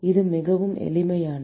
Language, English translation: Tamil, It is a very simple